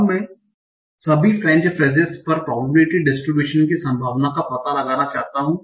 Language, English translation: Hindi, Now I want to find out the probability, the probability distribution over French phrases all